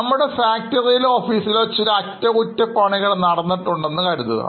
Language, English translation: Malayalam, Suppose some repair work is done in our factory or in office